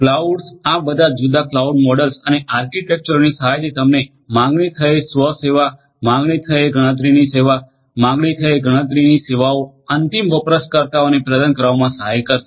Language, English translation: Gujarati, Cloud with the help of all of these different cloud models and architectures will help you to offer on demand self service, on demand you know service of computation, computation services on demand will be made available to the end users